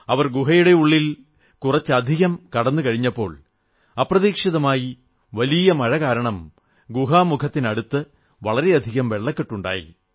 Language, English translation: Malayalam, Barely had they entered deep into the cave that a sudden heavy downpour caused water logging at the inlet of the cave